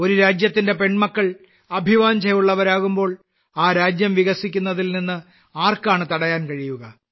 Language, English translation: Malayalam, When the daughters of a country become so ambitious, who can stop that country from becoming developed